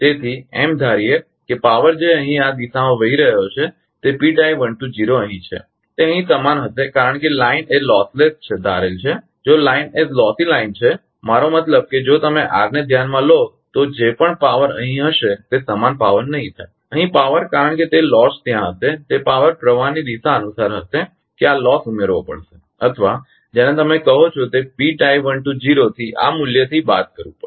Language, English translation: Gujarati, So, assuming that power is flowing in this direction whatever P tie 12 is here it will be same as here because assuming line is lossless if line is lost in the line is a lossy line I mean if you consider r then whatever power will be here it will not be the same power here because that that loss will be there according to the direction of the power flow that this loss has to be added are your what you call subtracted from this value from p tie 12